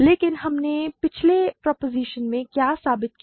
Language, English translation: Hindi, But what did we prove in the previous proposition